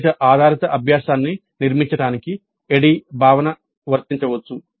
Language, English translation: Telugu, The ADE concept can be applied for constructing outcome based learning